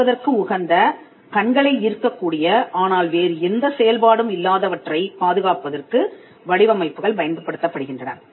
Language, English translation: Tamil, Designs are used to protect something that appeals to the eye something that is visually appealing to the eye but does not have a function behind it